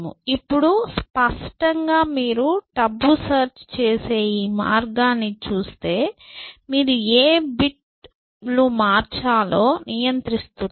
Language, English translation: Telugu, Now, obviously if you look at this way of doing tabu search that you are controlling which bits to change, then given any two bits